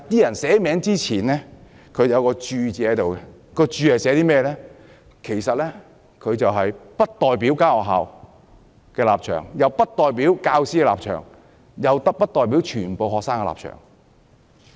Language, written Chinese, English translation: Cantonese, 但是，在聯署前有一個註腳，註明不代表該學校的立場，也不代表教師的立場，亦不代表全部學生的立場。, However above the signatures there was a footnote indicating that the petition did not represent the position of the school nor did it represent the position of the teachers or all the students